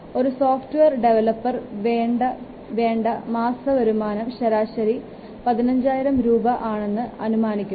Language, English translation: Malayalam, Assume that the average salary of a software developer is 15,000 per month